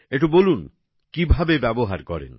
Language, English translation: Bengali, Tell me, how do you do it